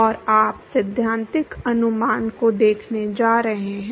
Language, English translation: Hindi, And you are going to look at the theoretical estimation